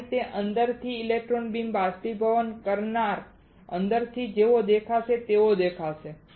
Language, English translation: Gujarati, This is how the electron beam evaporator from inside will look like from inside will look like